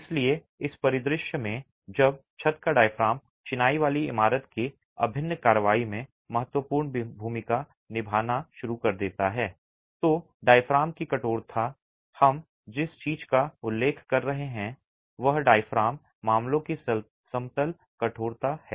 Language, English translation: Hindi, So, in this scenario when the roof diaphragm starts playing a significant role in the integral action of the masonry building, the stiffness of the diaphragm, what we are referring to is the in plain stiffness of the diaphragm matters and matters significantly